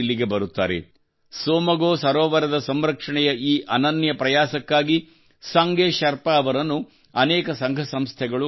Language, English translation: Kannada, Sange Sherpa has also been honored by many organizations for this unique effort to conserve Tsomgo Somgo lake